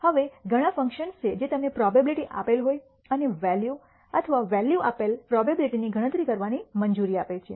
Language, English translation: Gujarati, Now in our there are several functions that allow you to compute probability given a value or the value given the probability